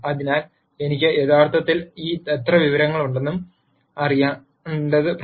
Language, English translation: Malayalam, So, it is important to know how much information I actually have